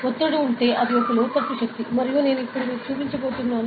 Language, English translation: Telugu, So, the pressure if, it an inland force like and what I am going to show now